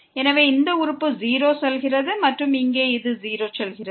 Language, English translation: Tamil, So, this term goes to 0 and here this goes to 0